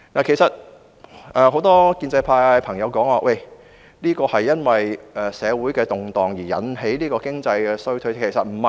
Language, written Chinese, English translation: Cantonese, 很多建制派朋友指這是社會動盪引起的經濟衰退，其實並非如此。, Many pro - establishment Members put the blame of economic recession on social unrest . This is actually untrue